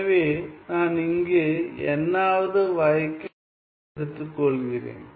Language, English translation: Tamil, So, I am taking, here I am taking the nth derivative right